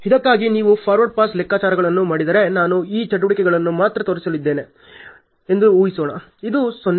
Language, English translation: Kannada, If you do forward pass calculations for this let us assume I am only going to show on these activities